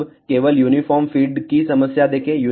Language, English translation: Hindi, Now, let just look at the problem of uniform feed